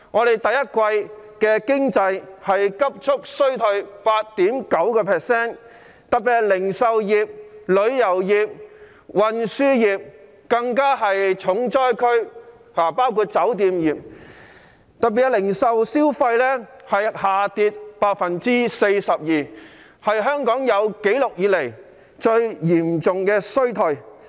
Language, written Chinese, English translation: Cantonese, 第一季經濟急速衰退 8.9%， 其中零售業、旅遊業、運輸業及酒店業更是重災區，零售業銷貨額下跌了 42%， 是香港有紀錄以來最嚴重的衰退。, The economy receded sharply by 8.9 % in the first quarter and the hardest hit were retail tourism transport and hotel industries with a reduction of retail sales by 42 %